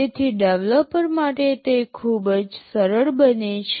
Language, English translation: Gujarati, So, it becomes very easy for the developer